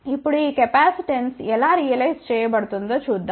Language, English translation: Telugu, Now, let us see how this capacitance is being realized